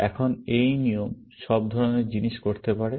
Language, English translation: Bengali, Now, these rules can do all kind of things